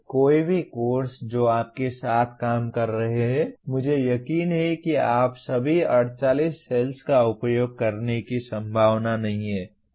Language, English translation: Hindi, that you are dealing with I am sure that you are unlikely to use all the 48 cells